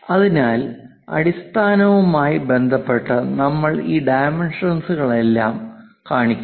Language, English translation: Malayalam, So, with respect to base, we are showing all these dimensions